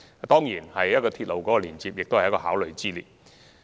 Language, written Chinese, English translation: Cantonese, 當然，鐵路亦是考慮方案之一。, Certainly railway is also an option that can be considered